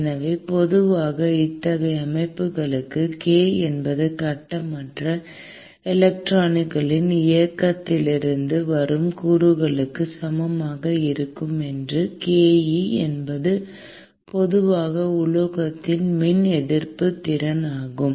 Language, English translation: Tamil, So, typically for such systems k is approximately equal to the component that comes from the free electrons movement and ke which is typically a function of 1 by rhoe which is the electrical resistivity of the metal